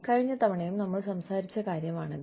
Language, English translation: Malayalam, This is something, we talked about, even last time